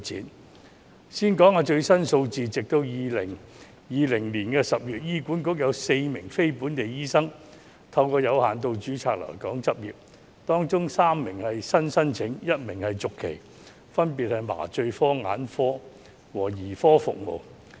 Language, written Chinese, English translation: Cantonese, 我先說說最新的數字，截至2020年10月，醫院管理局有4名非本地醫生透過有限度註冊來港執業，當中3名是新的申請 ，1 名是續期，分別是麻醉科、眼科和兒科服務醫生。, Let me first cite the latest figures . As at October 2020 the Hospital Authority HA has recruited four non - local doctors by way of limited registration three of which were new applications and one was a renewal . They serve the departments of anesthesiology ophthalmology and paediatrics respectively